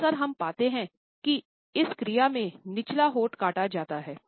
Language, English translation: Hindi, Often, we find that in this action it is the lower lip which is often bitten